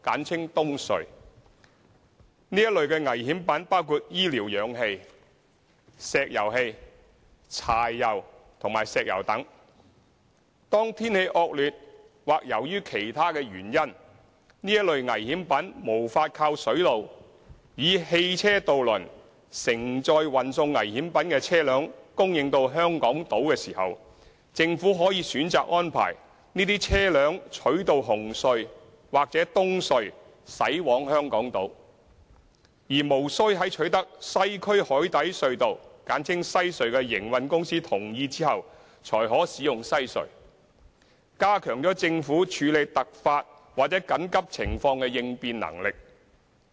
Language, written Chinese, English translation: Cantonese, 這類危險品包括醫療氧氣、石油氣、柴油和石油等。當天氣惡劣或由於其他原因，這類危險品無法靠水路以汽車渡輪承載運送危險品的車輛供應到香港島時，政府可選擇安排這些車輛取道紅隧或東隧駛往香港島，而無須在取得西區海底隧道的營運公司同意後才可使用西隧，加強了政府處理突發或緊急情況的應變能力。, When these dangerous goods including medical oxygen liquefied petroleum gas diesel fuel and petroleum cannot be supplied to Hong Kong Island through seaway by vehicular ferries under inclement weather or due to other reasons the Government can opt for using CHT or EHC to transport these dangerous goods to Hong Kong Island rather than using the Western Harbour Crossing WHC which requires the prior agreement of the WHC franchisee . This will greatly enhance the Governments ability to respond to unforeseen incidents and emergencies